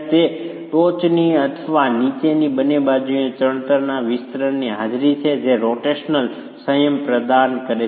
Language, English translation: Gujarati, It is the presence of extensions of the masonry on either side of the top or the bottom that is providing rotational restraint